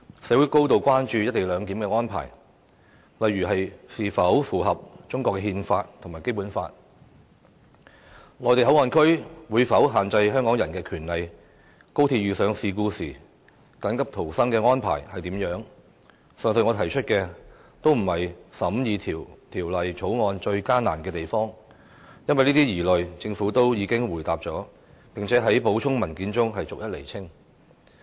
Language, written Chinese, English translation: Cantonese, 社會高度關注"一地兩檢"的安排是否符合中國憲法和《基本法》、內地口岸區會否限制香港人的權利、高鐵遇上事故時的緊急逃生安排等，均不是審議《條例草案》時遇到的最大困難，因為政府已回應了這些疑慮，並在補充文件中對有關問題逐一釐清。, Issues such as the publics concerns about whether the co - location arrangement is in conformity with the Constitution of China and the Basic Law whether Hong Kong peoples rights would be restricted in the Mainland Port Area and what emergency escape arrangements would be adopted should accidents happen on the Guangzhou - Shenzhen - Hong Kong Express Rail Link XRL are not the greatest difficulties encountered during the examination of the Bill . The Government had already responded to all such concerns and had in the supplementary documents clarified all the questions raised